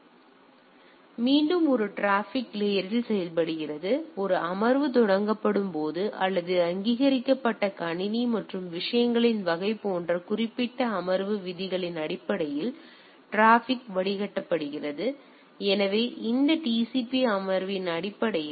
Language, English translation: Tamil, So, it is again it acts at a transport layer; traffic is filtered based on the specific session rules such as when a session is initiated or by a recognised computer and type of things; so, based on that TCP session